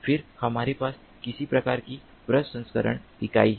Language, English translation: Hindi, then we have some kind of a processing unit